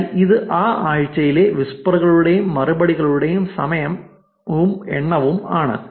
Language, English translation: Malayalam, So, this is time and number of whispers and replies for that particular week